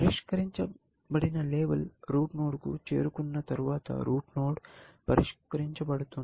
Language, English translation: Telugu, Once a solved label reaches a root node, we can say, we have solved the root node